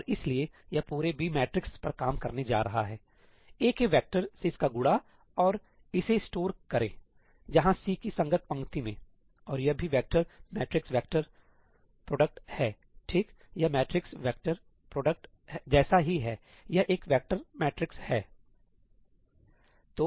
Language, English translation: Hindi, And so, it is going to work over the entire B matrix, multiply it with this vector of A and store it where in the corresponding row of C; and this is also a vector matrix product, right; this is same as matrix vector product, it is a vector matrix